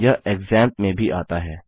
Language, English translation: Hindi, It also comes with XAMPP